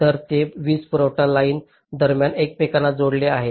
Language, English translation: Marathi, so they are interspaced between power supply lines